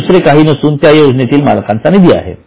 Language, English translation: Marathi, That means it is nothing but the owner's fund for that scheme